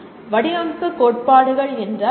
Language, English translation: Tamil, That is the nature of design theories